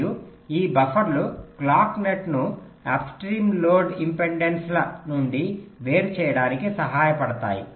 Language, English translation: Telugu, right, and this buffers help in isolating the clock net from upstream load impedances